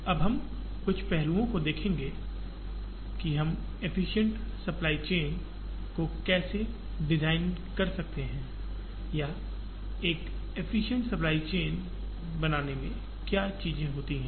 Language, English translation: Hindi, Now, we will see some aspects of, how we design efficient supply chains or what are the things that go into creating an efficient supply chain